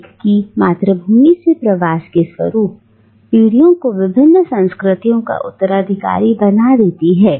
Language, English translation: Hindi, And the migration from one's homeland can make one an heir to multiple cultures